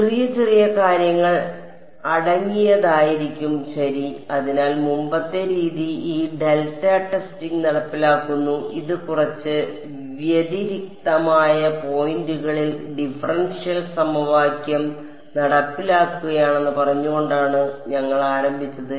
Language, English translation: Malayalam, Will be composed of little little such things ok; so now, we started we by saying that the earlier method was enforcing this delta testing it was enforcing the differential equation at a few discrete points